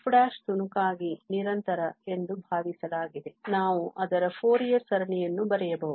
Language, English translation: Kannada, Since this f prime is assumed to be piecewise continuous, we can write down its Fourier series